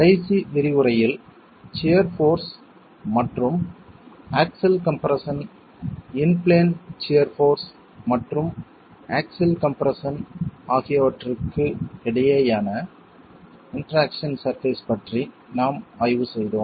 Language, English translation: Tamil, And in the last lecture, we were examining the interaction surface between shear force and axial compression, in plain shear force and axial compression